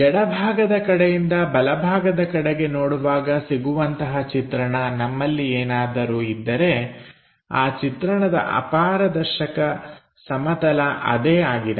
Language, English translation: Kannada, In case if we have a view is from left side direction to right side direction the opaque plane will be that